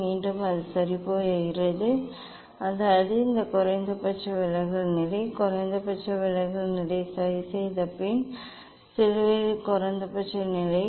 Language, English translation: Tamil, again, it is going back ok; that means, this is the minimum deviation position, this is the minimum deviation position ok, this is the minimum deviation position at the cross at the